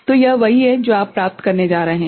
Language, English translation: Hindi, So, this is what you are going to get